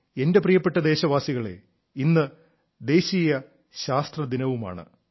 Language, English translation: Malayalam, today happens to be the 'National Science Day' too